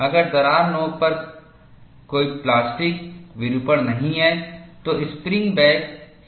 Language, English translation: Hindi, If there is no plastic deformation at the crack tip, the spring back would be uniform all throughout